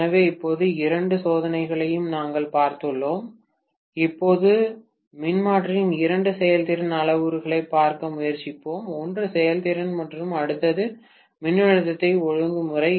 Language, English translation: Tamil, So, now that we have seen these two tests, let us try to now look at the two performance parameters of the transformer, one is efficiency and the next one is voltage regulation, right